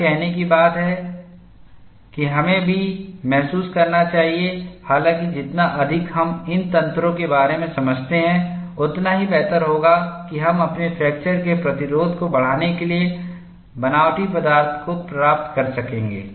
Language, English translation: Hindi, Having said that you should also realize however, the more we understand about these mechanisms, the better we will be able to fashion materials to enhance their resistance to fracture